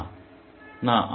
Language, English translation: Bengali, No, No, No